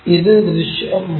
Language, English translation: Malayalam, And this one is visible